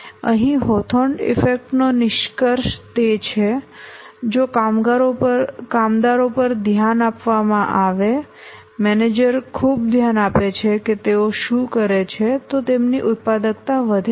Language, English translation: Gujarati, The conclusion from here the Hawthorne effect is that if the workers are given attention, the manager pays close attention that what they are doing, their productivity increases